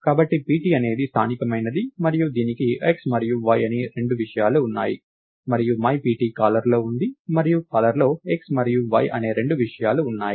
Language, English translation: Telugu, So, pt is something which is local and it has two things namely x and y, and myPt is in the caller and caller has two things x and y